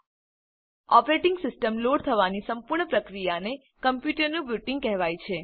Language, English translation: Gujarati, The whole process of loading the operating system is called booting the computer